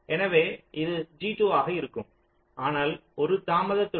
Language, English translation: Tamil, so it will be g two itself, but with a delay of one